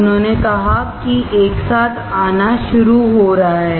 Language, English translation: Hindi, He said that coming together is beginning